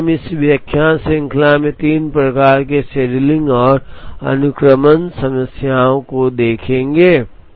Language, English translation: Hindi, So, we would see three types of scheduling and sequencing problems in this lecture series